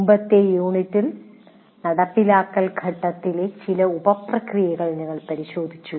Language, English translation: Malayalam, And in the earlier unit, we looked at some of the sub processes of implement phase